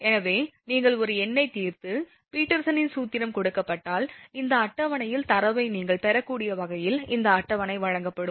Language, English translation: Tamil, So this, I mean if you solve a numerical and if Peterson’s formula is given, then this table will be supplied such that you can you have the data from this table